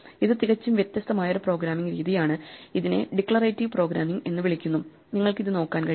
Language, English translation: Malayalam, This is a completely different style of programming which is called Declarative programming and you can look it up